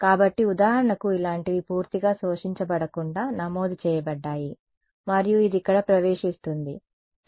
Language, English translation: Telugu, So, for example, something like this entered not fully absorbed and then it enters over here ok